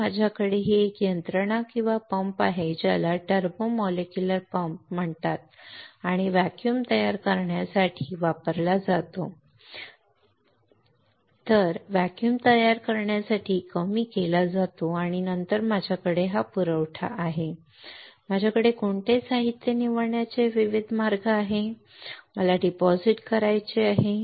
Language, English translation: Marathi, Then I have this system or pump right that is called turbo molecular pump and is used to create a vacuum is reduced to create a vacuum and then I have this supply, I have various way of selecting which material, I have to deposit right